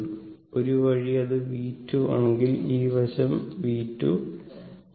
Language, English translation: Malayalam, So, this is your V 1 and this is your V 2, right